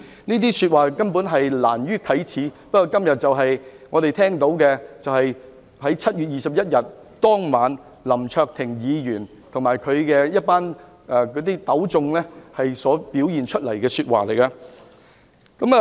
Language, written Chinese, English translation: Cantonese, 這些說話根本難於啟齒，不過今天我們聽到的，就是7月21日當晚，林卓廷議員和他糾集的群眾所說的話。, These words are definitely too embarrassing to utter but what we have heard today are the remarks made by Mr LAM Cheuk - ting and the crowd he gathered on that very night of 21 July